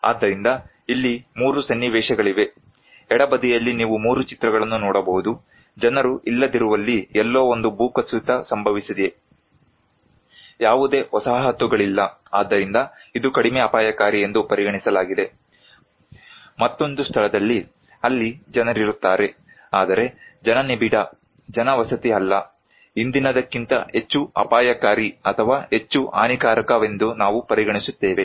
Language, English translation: Kannada, So, here are 3 scenarios; 3 pictures you can see in the left hand side; a landslide happened somewhere where no people are there, no settlements are there so, this is considered to be less risky in another place there are people but not that densely populated settlement, we consider to be more risky or more disastrous than the previous one